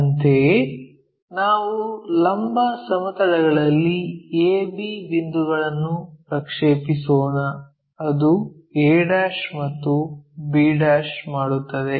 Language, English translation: Kannada, Similarly, let us project A B points on 2 vertical plane, it makes a' and makes b'